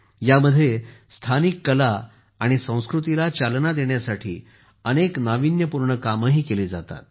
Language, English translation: Marathi, In this, many innovative endeavours are also undertaken to promote local art and culture